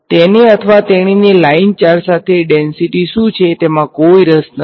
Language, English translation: Gujarati, He or she is not interested in what is the line charge density right